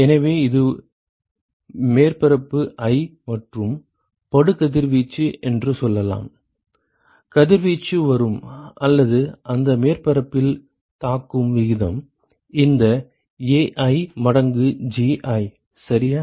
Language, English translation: Tamil, So, let us say this is surface i and incident irradiation, the rate at which the irradiation is coming or hitting that surface this Ai times Gi ok